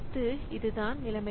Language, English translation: Tamil, So this is the situation